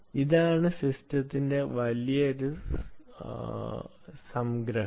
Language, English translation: Malayalam, this is the big summary of ah, of the system